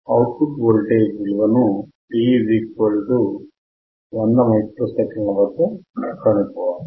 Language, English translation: Telugu, So we determine value of output voltage at t =200 microseconds